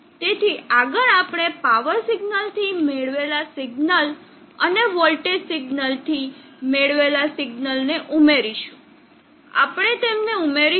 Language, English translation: Gujarati, So next we will add the signal obtained from the power signal and the signal obtained from the voltage signal, we will add them up what do you expect